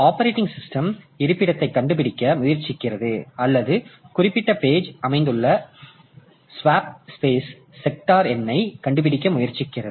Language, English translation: Tamil, So, the operating system tries to find out the location or find out the space sector number where the particular page is located